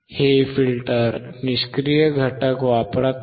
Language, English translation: Marathi, This is using the passive components